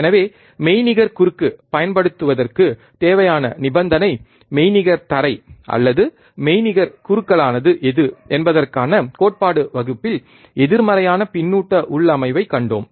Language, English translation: Tamil, So, the required condition to apply virtual short we have also seen what exactly virtual ground is or virtual short is in the theory class, the negative feedback configuration